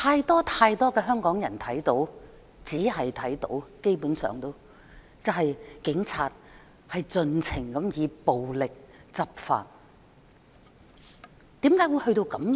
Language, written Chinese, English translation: Cantonese, "但是，太多香港人看到，而且基本上只看到，警察盡情以暴力執法。, but too many Hong Kong people have seen and basically only seen the Police enforcing the law with relentless violence